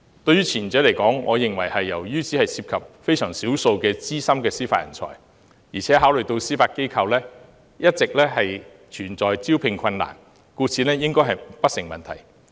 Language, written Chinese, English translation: Cantonese, 關於前者，由於只涉及非常少數資深的司法人才，而且考慮到司法機構一直存在招聘困難，故此應該不成問題。, With regard to the former concern as it only involves a very small number of seasoned judicial talents and considering that the Judiciary has always encountered recruitment difficulties it should not be a problem